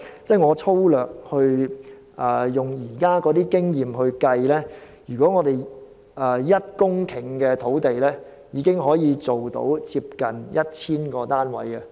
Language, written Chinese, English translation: Cantonese, 根據現時的經驗粗略計算 ，1 公頃土地已可興建近 1,000 個單位。, Based on the current experience 1 hectare of land can produce roughly 1 000 units